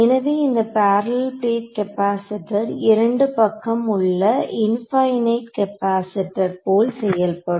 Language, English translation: Tamil, So, this parallel plate capacitor which looks something like this that you know you have a capacitor infinite capacitor in both directions